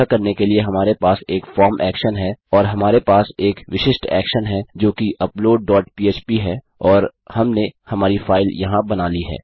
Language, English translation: Hindi, To do this we have a form action and we have a specific action which is upload dot php and weve created our file here